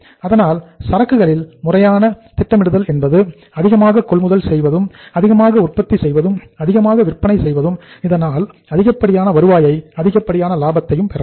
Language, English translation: Tamil, So it means the inventory strategy is to acquire maximum, manufacture maximum, sell maximum and to attain maximum revenue and the maximum profits